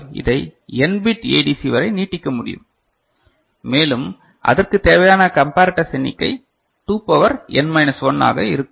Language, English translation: Tamil, So, this can be extended to n bit ADC and we know the number of comparators required will be 2 to the power n minus 1